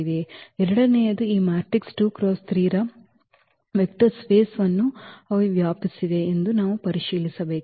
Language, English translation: Kannada, The second we have to check that they span the vector space of this matrices 2 by 3